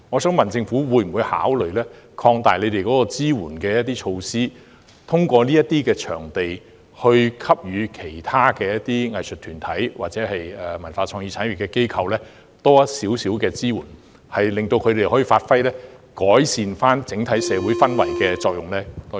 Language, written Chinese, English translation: Cantonese, 政府會否考慮擴大支援措施，通過這些場地向其他藝術團體或文化創意產業機構提供較多支援，令他們可以發揮改善整體社會氛圍的作用？, Will the Government consider expanding the scope of the relief measures to provide more support for other arts groups or establishments in the cultural and creative industries thereby enabling them to play a part in improving the overall social atmosphere?